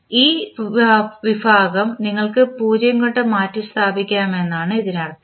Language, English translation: Malayalam, It means that this particular section you can replace by 0